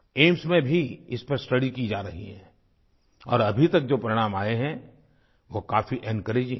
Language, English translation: Hindi, These studies are being carried out in AIIMS too and the results that have emerged so far are very encouraging